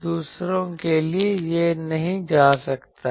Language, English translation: Hindi, For others, it may not go